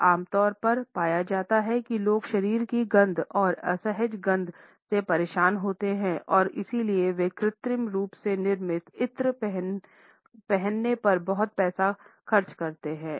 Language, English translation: Hindi, It is normally found that people are uncomfortable with body odors and smells and therefore, they spend a lot of money on wearing artificially created scents